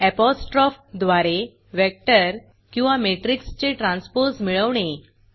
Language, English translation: Marathi, Find the transpose of vector or matrix using apostrophe